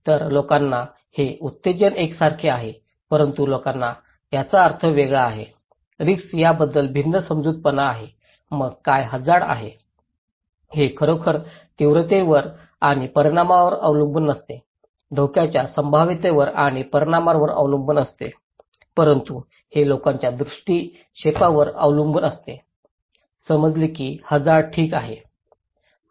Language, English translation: Marathi, So, people have this stimulus is the same is a snake but people have different meaning, different perceptions about the risk so interesting, so what risk is; itís not, does not really depend on the magnitude and consequence, the probability and consequence of hazards but it also depends how people perceive; perceived that hazard, okay